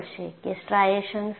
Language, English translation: Gujarati, So, what are striations